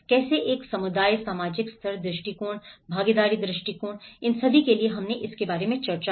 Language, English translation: Hindi, How to approach a community, the social level approaches, participatory approaches, all these we did discussed about it